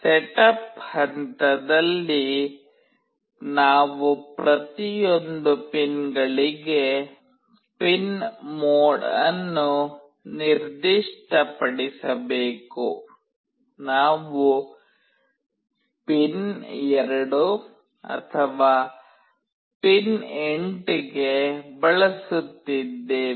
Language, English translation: Kannada, In the setup phase, we have to specify the pin mode for each of the pins, we are using pin 2 to pin 8